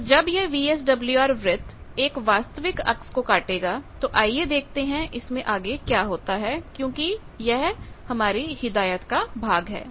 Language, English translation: Hindi, So, these VSWR circle when it cuts real axis let us see what happens because that was part of the instruction